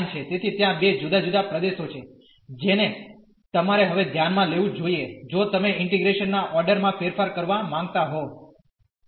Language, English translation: Gujarati, So, there are 2 different regions we have to consider now if you want to change the order of integration